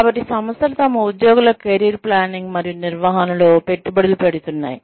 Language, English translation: Telugu, So, organizations are investing, in career planning and management, of their employees